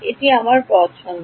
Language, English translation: Bengali, It is my choice